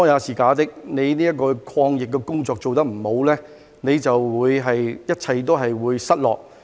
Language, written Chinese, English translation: Cantonese, 政府的抗疫工作做得不好，還有甚麼好說，一切都會失落。, If the Government cannot even do a good job in fighting the epidemic there is nothing more to say as everything will be gone